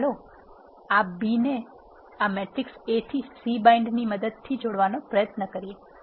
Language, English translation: Gujarati, Now, let us try to concatenate this B to this matrix A using C bind